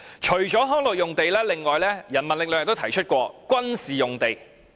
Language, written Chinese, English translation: Cantonese, 除了康樂用地，人民力量亦曾提出取回軍事用地。, Apart from recreational land the People Power also proposed recovering military sites of rather low usage rate